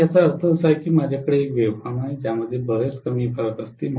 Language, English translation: Marathi, So which means I am going to have actually a wave form which will have much less variations